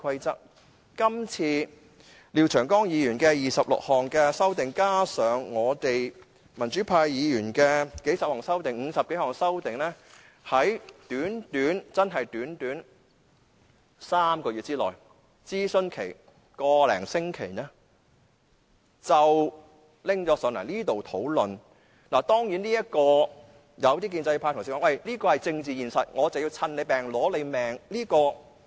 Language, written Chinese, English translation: Cantonese, 這次廖長江議員的26項修訂建議，加上我們民主派議員的數十項修訂建議——合共50多項修訂建議——在短短3個月之內完成了討論，加上一個多星期的諮詢，便交到立法會會議上討論。, This time Mr Martin LIAOs 26 proposed amendments in addition to the dozens proposed by us Members from the pro - democracy camp―altogether some 50 proposed amendments―were tabled at the Legislative Council meeting after the conclusion of a three - month brief discussion and a consultation exercise lasting more than a week